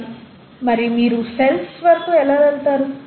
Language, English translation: Telugu, But then, how do you get to cells